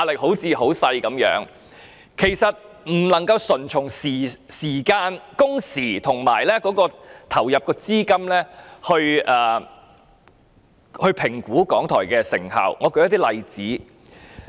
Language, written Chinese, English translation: Cantonese, 可是，我們不能單從製作時間、工時及所投放的資金來評估港台的成效，讓我舉一些例子來說明。, However the effectiveness of RTHK should not be considered merely in the light of the production time man - hours and the expenditure incurred . I will cite some examples to illustrate my point